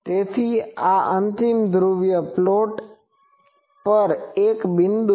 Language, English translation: Gujarati, So, this is a point on the final polar plot